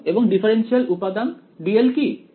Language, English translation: Bengali, 0 and what is the differential element d l